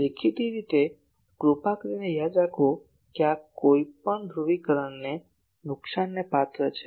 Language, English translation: Gujarati, So, obviously, this is please remember that this is subject to no polarisation loss